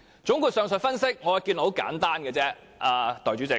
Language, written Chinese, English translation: Cantonese, 總括上述分析，我的結論很簡單，代理主席。, My conclusion of the above analysis is very simple Deputy President